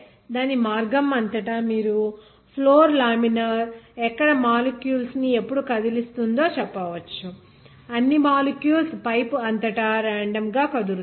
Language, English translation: Telugu, Across its path then you can say that the floor laminar where as when did all the molecules will be moving in such a way that all the molecule will be randomly moving throughout the pipe